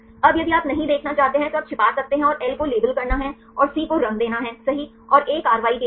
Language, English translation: Hindi, Now, if you do not want to see then you can hide and L is to label and C is to color right and A is for the action right